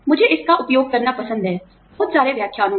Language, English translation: Hindi, I like to use it, in so many lectures